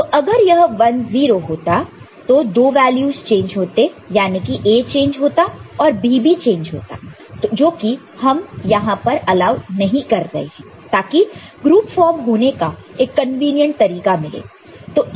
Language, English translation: Hindi, So, if it was 1 0 then two values would have changed A would have changed as well as B would have changed which we are not allowing here to have a better opportunity or better way of, convenient way of, forming the formation of the groups